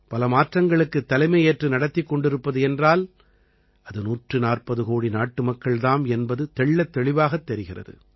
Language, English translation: Tamil, Today, it is clearly visible in India that many transformations are being led by the 140 crore people of the country